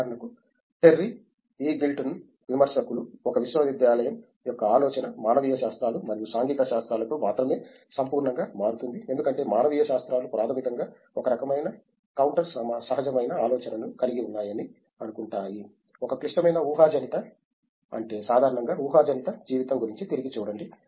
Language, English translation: Telugu, Like for example, Terry Eagleton critics such that the idea of a university becomes complete only with humanities and social sciences being there, because humanities basically suppose to have a kind of counter intuitive thought, a critical speculative I mean speculative look back at life in general